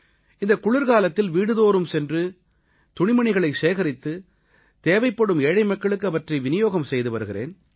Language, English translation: Tamil, This winter, I collected warm clothes from people, going home to home and distributed them to the needy